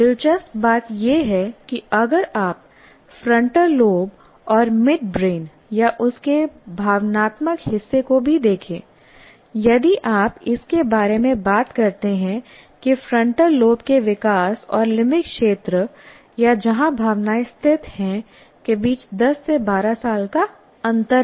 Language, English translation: Hindi, The interesting thing about this is the if you look at the frontal lobe and also the midbrain or the emotional part of it, if you talk about that, there is a 10 to 12 year gap between the developmental frontal lobe and that of the limbic area or where the emotions are situated